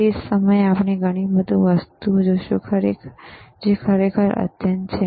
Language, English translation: Gujarati, At the the same time, we will see lot of things which are really advanced right